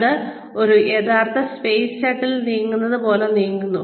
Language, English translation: Malayalam, That moves like a real space shuttle, would move